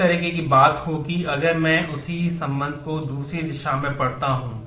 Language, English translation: Hindi, A similar thing will happen, if I read the same relation in the other direction